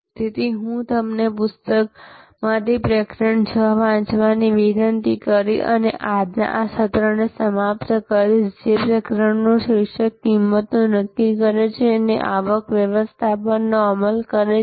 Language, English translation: Gujarati, So, I will conclude today's session by requesting you to read chapter number 6 from the book, which is the chapter title setting prices and implementing revenue management